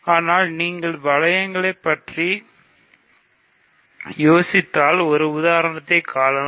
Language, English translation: Tamil, But if you play with rings a little bit you can find an example